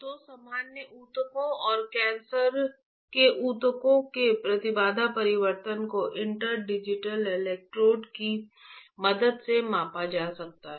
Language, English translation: Hindi, So, the impedance change of the normal tissues and the cancerous tissues can be measured with the help of interdigitated electrodes, right